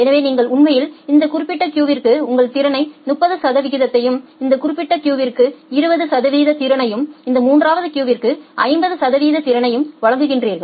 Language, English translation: Tamil, So, you are actually providing 30 percent of your capacity to this particular queue, 20 percent of the capacity to this particular queue and 50 percent of the capacity to this third queue